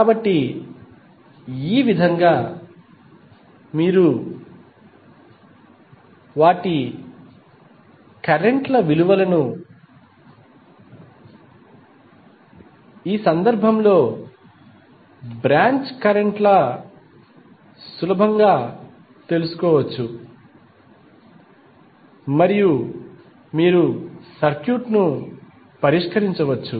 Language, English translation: Telugu, So, in this way you can easily find out the value of currents of those are the branch currents in this case and you can solve the circuit